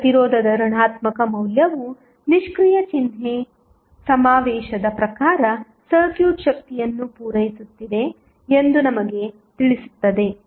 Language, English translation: Kannada, Now, the negative value of resistance will tell us that according to the passive sign convention the circuit is supplying power